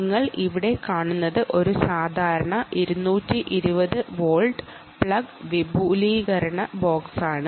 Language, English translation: Malayalam, what you see here is a normal two twenty volt um plug extension box